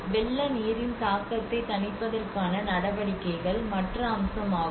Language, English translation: Tamil, The other aspect is the measures to mitigate the impact of floodwater